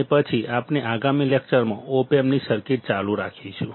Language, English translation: Gujarati, And then we will continue the circuits of op amps in the next lecture